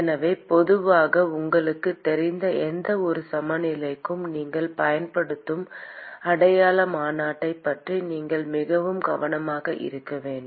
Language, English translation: Tamil, So, you have to very careful about the sign convention that you use for any balance that you generally know